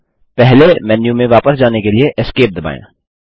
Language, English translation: Hindi, Let us now press Esc to return to the previous menu